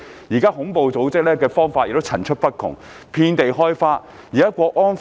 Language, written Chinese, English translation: Cantonese, 現時恐怖組織所用的方法層出不窮，遍地開花。, Nowadays terrorist organizations continually evolve their tactics creating disruption everywhere